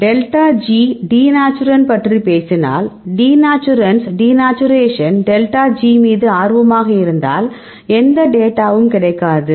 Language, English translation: Tamil, Delta G if you talk about the a denaturant right, if you interested in denaturants denaturation delta G we do not get any data